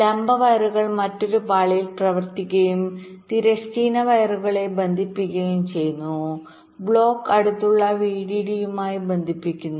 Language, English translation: Malayalam, the vertical wires run in another layer and connect the horizontal wires block connects to the nearest vdd and ground